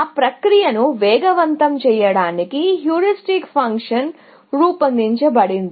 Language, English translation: Telugu, Heuristic function is devised to speed up that process